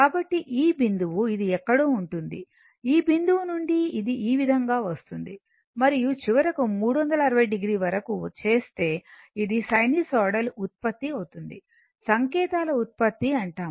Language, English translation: Telugu, So, for this point it will be somewhere here, from this point it will this way it will coming and finally, it up to 360 degree if you do, it will be a sinusoidal your what you call generation signal generation, right